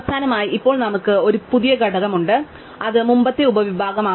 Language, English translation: Malayalam, Finally, now we have one new component which subsumes earlier to